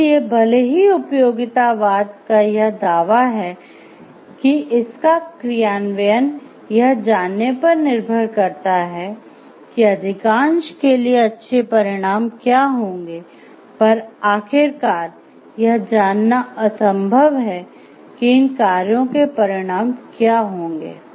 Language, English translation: Hindi, So, even if utilitarianism claims that it is implementation depends greatly on knowing what will lead to most of the good, ultimately it may be impossible to know exactly what are the consequences of these actions